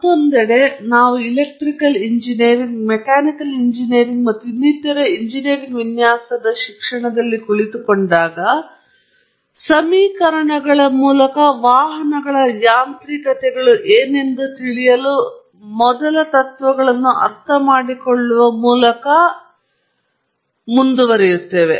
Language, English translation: Kannada, On the other hand, when we really sit in courses on in automobile engineering, mechanical engineering, and so on or in engineering design, we do learn what are the mechanics of a vehicle through equations, through first principles understanding and so on